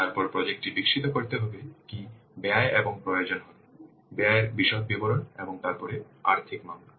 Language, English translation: Bengali, Then what cost will be required to develop the project, details of the costs and then the financial case